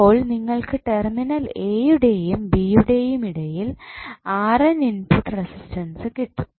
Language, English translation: Malayalam, So, you will get R n as a input resistance which would be between terminal a and b